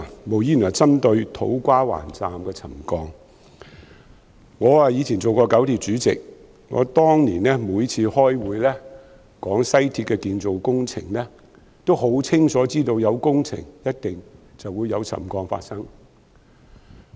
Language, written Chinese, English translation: Cantonese, 我以前曾出任九廣鐵路公司主席，當年我每次開會討論西鐵的建造工程時，都很清楚知道有工程便一定會有沉降發生。, I used to be Chairman of the Kowloon - Canton Railway Corporation KCRC . Every time I attended a meeting on the construction works of the West Rail Line back then I was fully aware that settlement was bound to occur when works were undertaken